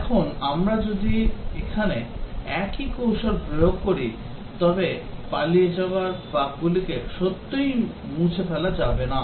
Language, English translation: Bengali, And if we applied the same technique here the bugs that have escaped will not really get eliminated